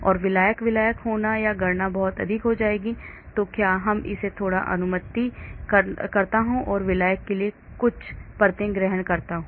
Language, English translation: Hindi, And there will be solvent solvent, solvent solvent or the calculations become too many or do I make it little bit approximate and assume only few layers of solvent